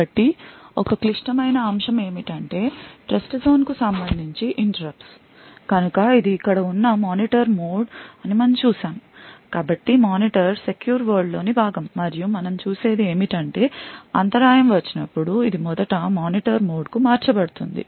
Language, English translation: Telugu, So interrupts are a critical aspect with respect to Trustzone so as we have seen that is a Monitor mode present over here so the monitor is part of the secure world and what we see is that whenever interrupt comes so it is first channeled to the Monitor mode